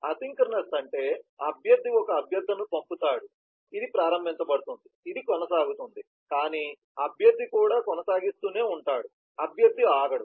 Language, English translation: Telugu, asynchronous is where the requestor sends a request, this is initiated, this continues, but requestor also keeps on continuing, requestor does not stop